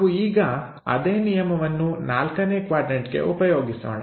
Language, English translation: Kannada, Let us apply the same rule for the point in 4th quadrant